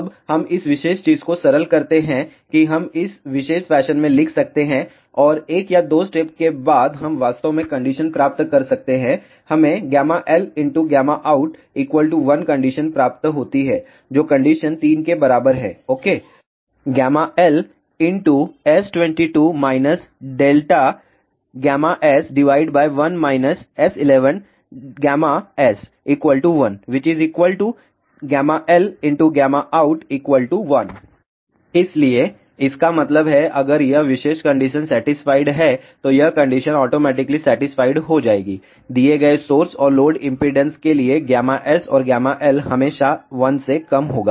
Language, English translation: Hindi, Now, we simplify this particular thing we can write in this particular fashion and after one or two steps, we can actually obtain the condition gamma l gamma out equal to 1 which is same as condition three ok So; that means, if this particular condition is satisfied this condition will automatically get satisfied, for given source and load impedances gamma S and gamma l will always be less than 1